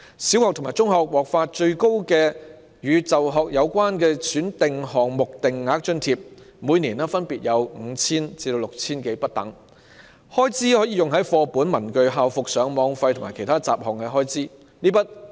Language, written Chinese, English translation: Cantonese, 小學生及中學生獲發的"與就學有關的選定項目定額津貼"，最高金額每年分別為 5,000 元至 6,000 多元不等，開支可用於課本、文具、校服、上網費及其他雜項開支。, The maximum amounts of the flat - rate grant for selected items of school - related expenses for primary and secondary students which can be used on textbooks stationery school uniforms Internet charges and other miscellaneous expenses range from 5,000 to 6,000 per year respectively